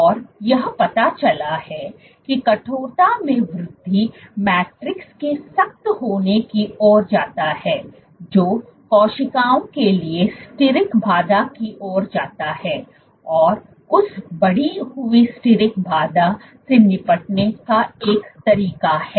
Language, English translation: Hindi, And it turns out that increase in stiffness leads to stiffening of the matrix that leads to steric hindrance for the cells, have a way of dealing with that increased steric hindrance